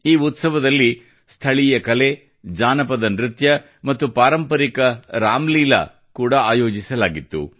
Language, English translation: Kannada, Local art, folk dance and traditional Ramlila were organized in this festival